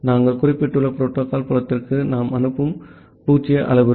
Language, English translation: Tamil, The 0 parameter that we send for the protocol field that we have mentioned